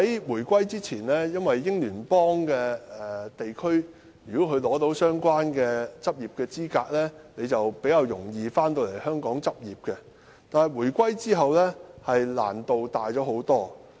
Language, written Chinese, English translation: Cantonese, 回歸前，在英聯邦地區取得相關執業資格的醫生，比較容易回港執業，但回歸後，難度大增。, Before the reunification it was easier for doctors who had obtained the qualification for practice in Commonwealth regions to return to Hong Kong for practice . Yet after the reunification it has become much more difficult